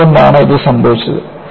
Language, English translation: Malayalam, Why this has happened